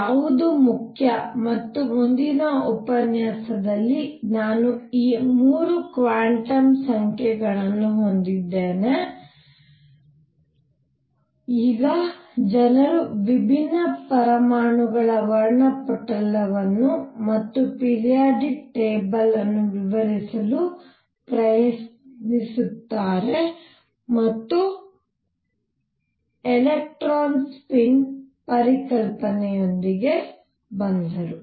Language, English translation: Kannada, What is important and what I am going to cover in the next lecture is having these 3 quantum numbers now people try to explain the spectrum of different atoms and also the periodic table and came up with the concept of electron spin